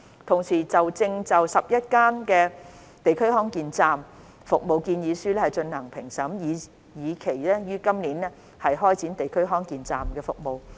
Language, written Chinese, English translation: Cantonese, 同時，我們正就11區"地區康健站"服務建議書進行評審，以期於今年開展"地區康健站"的服務。, Meanwhile proposals for providing DHC Express services in 11 districts are currently under assessment with a view to commencing services this year